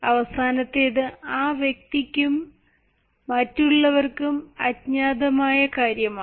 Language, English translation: Malayalam, and the last and the final is what is unknown by the person is also unknown by others